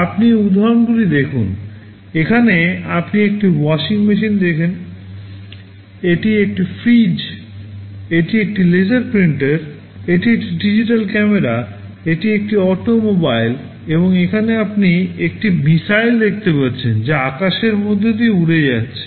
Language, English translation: Bengali, You see these examples, here you see a washing machine, this is a refrigerator, this is a laser printer, this is a digital camera, this is an automobile and here you can see a missile that is flying through the sky